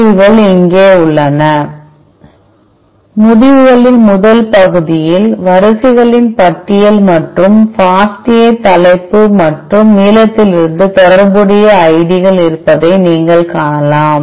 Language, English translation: Tamil, The results are here, you could see that the first part of the results contain the list of sequences and, corresponding ids from the FASTA header and the length